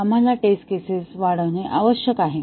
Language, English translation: Marathi, We need to augment the test cases